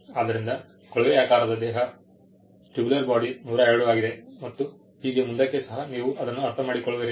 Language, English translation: Kannada, So, tubular body is 102, so on and so forth, you will understand that